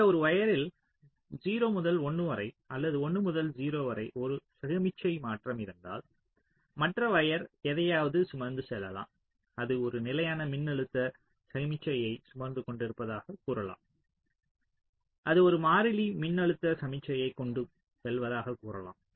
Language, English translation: Tamil, lets say so if on one of the wire there is a signal transition, either from zero to one or from one to zero, so the other wire maybe carrying something, lets say it was carrying a constant voltage signal